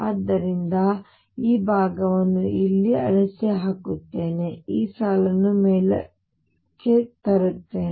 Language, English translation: Kannada, So, I will erase this portion here, raised this line up